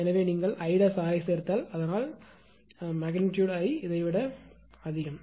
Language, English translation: Tamil, So, if you add I square R, so I is magnitude of I greater than this one